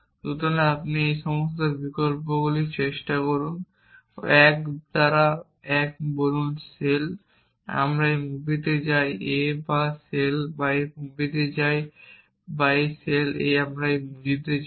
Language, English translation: Bengali, So, you try all these options 1 by 1 you say shell we go to this movie a or shell we go to this movie b or shell we go to this movie c and then try all combinations of this